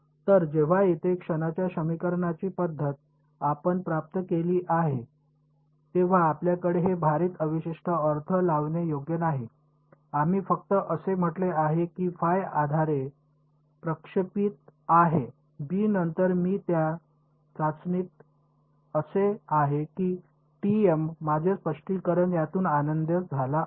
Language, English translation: Marathi, So, here when we have derived the method of moments equation over here, we did not have this weighted residual interpretation right, we just said phi is projected on basis b then I do testing along t m that was my interpretation we were happy with it